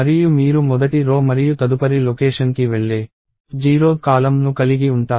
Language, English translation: Telugu, And you have the first row and the 0 th column that goes into the next location and so on